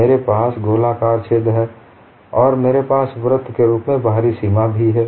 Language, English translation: Hindi, I have the circular hole and I also have the outer boundary a circle